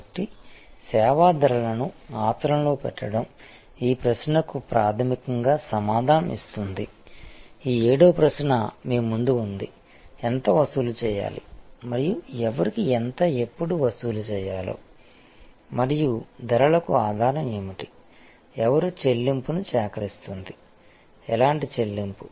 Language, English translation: Telugu, So, putting service pricing into practice is fundamentally answering this question, which are in front of you this seven question, how much to charge and I think I should add a how much to charge whom and when, what is the basis for pricing, who will be collecting the payment, what kind of payment is it credit card payment